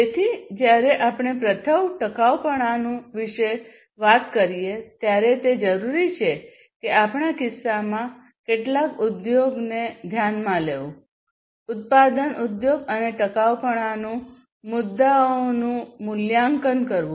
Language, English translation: Gujarati, So, when we talk about sustainability first what is required is to consider some industry in our case, the manufacturing industry and assess the sustainability issues